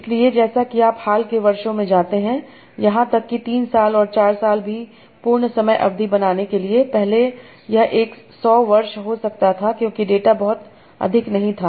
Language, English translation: Hindi, So as you go over recent years even like three years and four years for making a complete time duration and earlier it might be 100 years together because the data was not too much